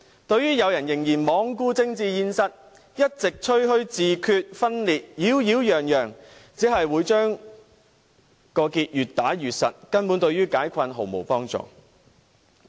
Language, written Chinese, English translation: Cantonese, 對於有人仍然罔顧政治現實，一直擾擾攘攘地吹噓自決、分裂，只會將結越打越實，根本對於解困毫無幫助。, The disregard for the political reality and continued nagging and boastful talks about self - determination or separatism will only serve to tighten the knot and do no good whatsoever to resolving the stalemate